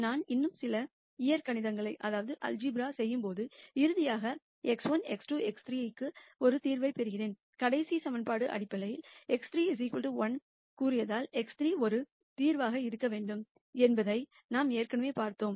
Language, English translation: Tamil, And when I do some more algebra I nally get a solution to x 1 x 2 x 3 which is the following; And we had already seen that x 3 equal to 1 has to be a solution because the last equation basically said x 3 equal to 1